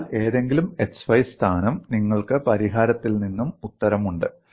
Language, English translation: Malayalam, So, at any xy position, you have the answer from the solution